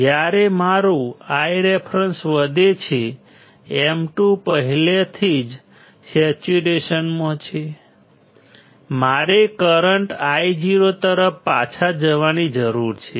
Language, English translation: Gujarati, When my I reference increases my M 2 is already in saturation right, I need to go back towards the current Io